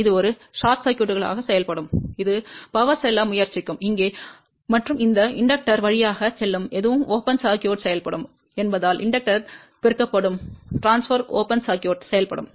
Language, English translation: Tamil, This will act as a short circuit, the power will try to go over here and if anything which is going through this inductor will act as a open circuit because infinity multiplied by inductor will act as an open circuit